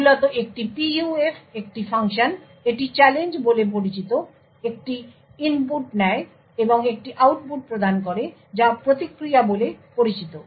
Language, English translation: Bengali, So, basically a PUF is a function, it takes an input known as challenge and provides an output which is known as the response